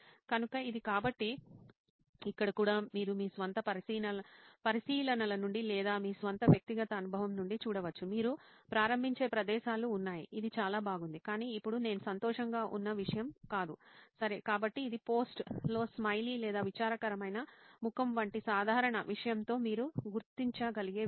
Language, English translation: Telugu, So that is it, so here also you can see from your own observations or your own personal experience, there are places where you start wow this is great, this is nice, but now, not something that I am happy about, ok, so that’s something that can you mark with a simple thing like a smiley or a sad face on the post it itself